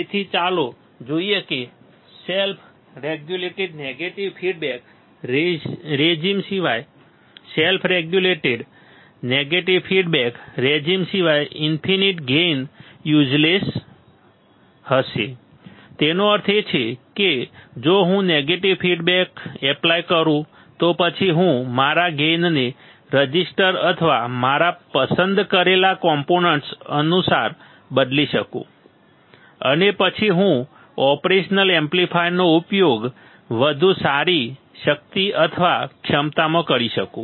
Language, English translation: Gujarati, So, let us see infinite gain would be useless except in self regulated negative feedback regime except in self regulated negative feedback regime; that means, if I apply negative feedback, then I can tweak my gain according to the registers or the components that I select and then I can use the operational amplifier in much better capability or capacity